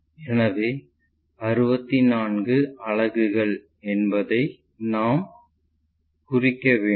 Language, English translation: Tamil, So, 64 units we have to mark it